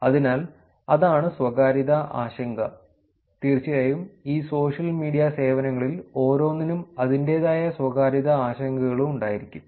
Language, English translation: Malayalam, So, that is the privacy concern and of course, every each of these social media services will have its own privacy concerns also